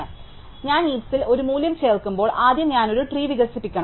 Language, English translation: Malayalam, So, the first thing when I add a value to the heap is I must expand a tree